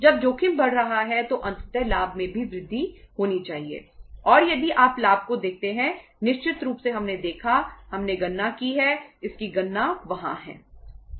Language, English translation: Hindi, When the risk is increasing so ultimately the profit should also increase and if you look at the profit certainly we have seen, we have calculated if you it is calculated there